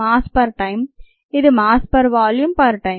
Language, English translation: Telugu, this is mass per volume per time